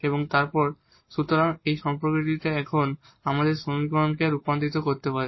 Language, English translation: Bengali, So, having this equation now we can just rewrite this